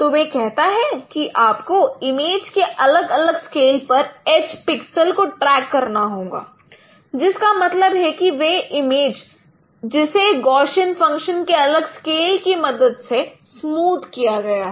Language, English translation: Hindi, So what it says that you need to track those age pixels at different differently smoothened images, at different scales of images which means images which are smooth smoothened by different scales of Gaussian functions